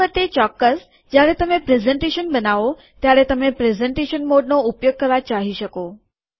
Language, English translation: Gujarati, Finally of course, when you make the presentation, you may want to use the presentation mode